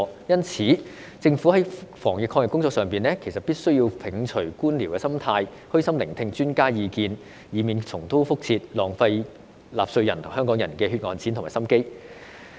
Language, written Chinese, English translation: Cantonese, 因此，政府在防疫抗疫工作上，必須摒除官僚心態、虛心聆聽專家的意見，以免重蹈覆轍，浪費納稅人和香港人的血汗錢和心機。, Thus in carrying out anti - epidemic work the Government must abandon its bureaucratic mentality and humbly listen to expert opinions to avoid repeating the same mistakes and waste the hard - earned money and efforts of taxpayers and Hong Kong people